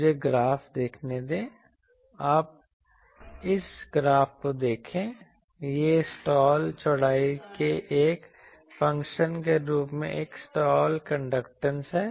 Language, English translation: Hindi, Let me see the graphs, you see this graph this is a slot conductance as a function of slot width